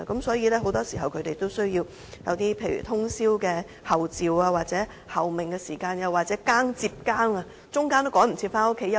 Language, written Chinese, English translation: Cantonese, 所以，很多時當他們需要通宵候命，在換更時，也有可能趕不及回家睡覺休息。, So when they are assigned overnight stand - by duties it is unlikely that they can return home in time for a rest or sleep after release from duty